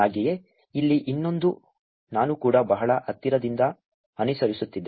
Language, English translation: Kannada, Also here is another one that I was also following very closely